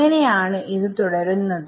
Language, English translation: Malayalam, So, that is how it goes and so on